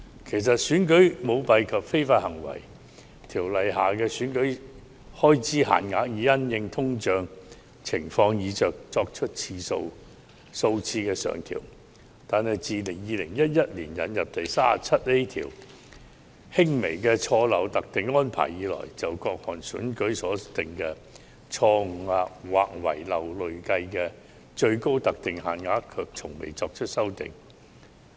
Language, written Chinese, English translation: Cantonese, 其實，《選舉條例》下的選舉開支限額已因應通脹情況而數次上調，但自2011年引入第 37A 條下的輕微錯漏特定安排以來，從未就各項選舉所訂的錯誤或遺漏累計最高特定限額作出修訂。, While the election expense limits EELs provided under the Elections Ordinance have been increased a few times to take account of inflation the limits prescribed for rectifying minor errors or omissions for different elections have not been revised since the de minimis arrangement provided in section 37A was introduced in 2011